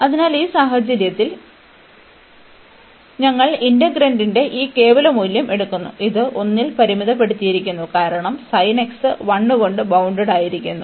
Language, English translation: Malayalam, So, in this case even we take this absolute value of the integrand, and this is bounded by 1 over because this sin x is bounded by 1